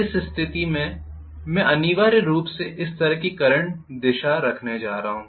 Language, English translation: Hindi, In which case I am going to have essentially the current direction like this,ok